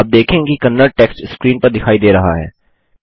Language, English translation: Hindi, You will see the Kannada text being displayed on the screen